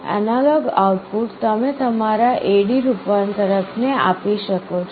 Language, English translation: Gujarati, The analog output you can feed to your A/D converter